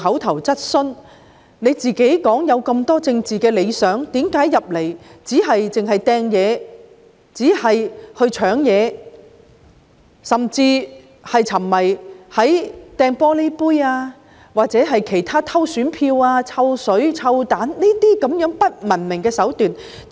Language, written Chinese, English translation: Cantonese, 他自己有很多政治理想，但為何加入議會後，只是沉迷於擲東西、搶東西、擲玻璃杯、偷選票、潑臭水、擲臭蛋等不文明的手段呢？, He himself cherished many political ideals so I asked him why he was so obsessed with uncivilized acts after joining the legislature such as hurling objects snatching things flinging drinking glasses stealing ballot papers from the ballot box pouring stinking liquid and hurling stinking substances